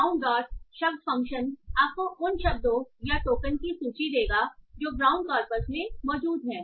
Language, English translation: Hindi, So brown dot words function will give you the list of the words or tokens that are present in the brown corpus